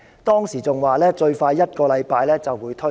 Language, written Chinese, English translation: Cantonese, 當時，他更說最快一星期便會推出。, At that time he said the guidelines would be released within a week at the earliest